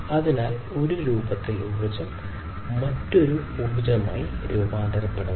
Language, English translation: Malayalam, So, one form of energy is transformed to another form of energy